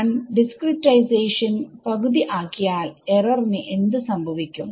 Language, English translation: Malayalam, If I half the discretization, what happens to the error